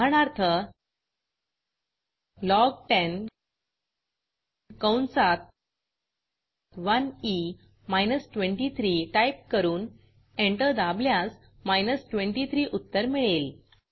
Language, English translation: Marathi, For example, log10 bracket 1e minus 23 close bracket and press enter this gives the expected answer 23